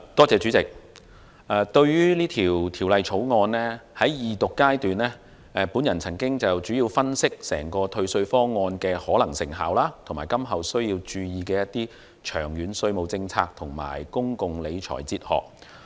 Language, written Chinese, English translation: Cantonese, 主席，對於《2019年稅務條例草案》，在二讀階段，我曾經主要分析整個退稅方案的可能成效及今後需要注意的長遠稅務政策和公共理財哲學。, Chairman regarding the Inland Revenue Amendment Bill 2019 the Bill I did an analysis during the Second Reading debate placing my focus on the possible effectiveness of the entire tax refund proposal as well as the future long - term tax policy and public finance philosophy that warrant attention